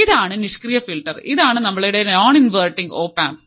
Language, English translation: Malayalam, This is the passive filter and this is our non inverting op amp